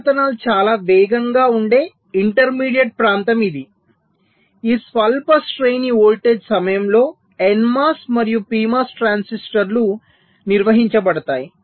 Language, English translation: Telugu, there is an intermediate region where the transitions is very fast, a short range of voltage during which both the n mos and p mos transistors may be conducting